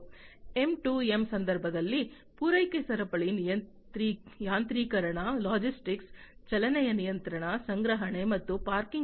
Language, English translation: Kannada, In the context of M2M, supply chain automation, logistics, motion control, storage and parking and so on